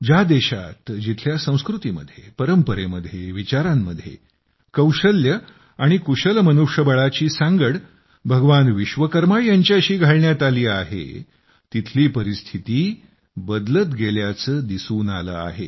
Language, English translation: Marathi, The situation in our country where culture, tradition, thinking, skill, manpower have been interlinked with Bhagwan Vishwakarma and how it has changed…